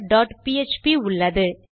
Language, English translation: Tamil, Weve got counter.php